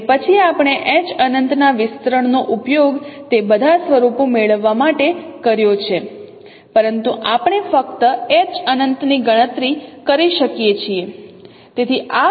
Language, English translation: Gujarati, Then we have used the expansion of H infinity to get all those forms but we will be using simply we can compute H infinity